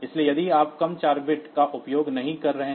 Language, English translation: Hindi, So, if you are not using say lower 4 bits